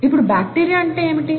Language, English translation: Telugu, Now what is bacteria